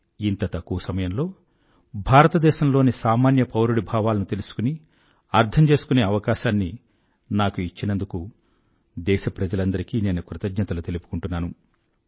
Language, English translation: Telugu, I am thankful to our countrymen for having provided me an opportunity to understand the feelings of the common man